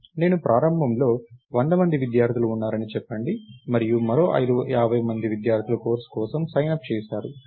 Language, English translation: Telugu, Lets say I have 100 students to start with and another 50 students signed up for the course